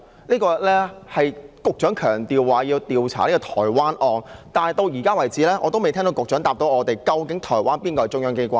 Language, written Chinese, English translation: Cantonese, 這是局長強調要調查台灣案，但到現時為止，我仍未聽到局長回答我們，究竟哪個是台灣的中央機關？, The Secretary insists that the Taiwan case has to be investigated but hitherto I still cannot hear the Secretarys answer to our question of which institutions are the central authorities of Taiwan